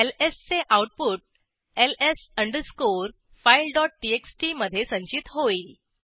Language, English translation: Marathi, The output of ls will be stored in ls file dot txt